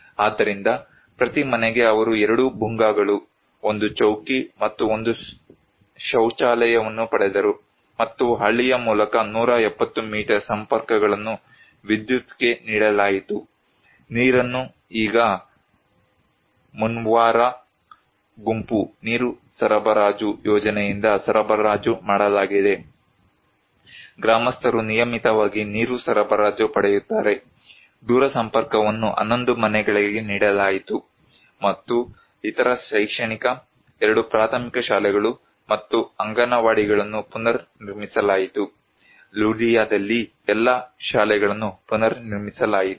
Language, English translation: Kannada, So, each household they received 2 Bhungas, 1 Chowki and one toilet for, and 170 metered connections through the village were given to the electricity, water is now supplied by Mumvara group water supply scheme, the villagers get quite regularly the water supply, telecommunications was given to 11 houses and other educational, 2 primary schools and Anganwadis were rebuilt, all the schools were reconstructed in Ludiya